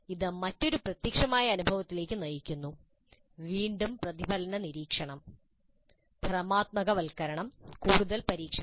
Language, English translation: Malayalam, This leads to another concrete experience, again reflective observation, conceptualization, further experimentation